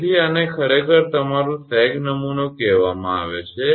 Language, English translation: Gujarati, So, this is actually called your sag template